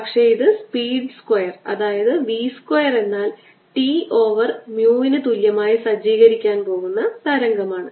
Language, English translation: Malayalam, this is the wave which will be going to be set up with ah speed square v, square t equal to mu